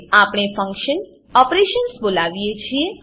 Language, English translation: Gujarati, Now we call the function operations